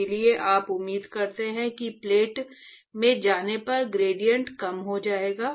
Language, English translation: Hindi, So, therefore, you expect that the gradient would decrease as you go into the plate